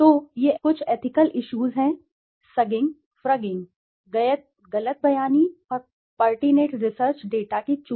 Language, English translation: Hindi, So, these are some of the ethical issues, sugging, frugging, misrepresentation and omission of pertinent research data